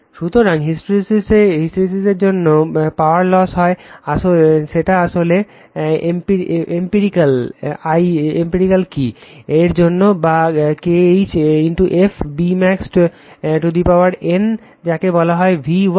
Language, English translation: Bengali, So, now power loss on the account of hysteresis is actually it is an empirical formula right key or K h into f into B max to the power n into your what you call V watts right